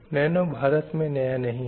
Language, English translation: Hindi, And again, nano is not new to India also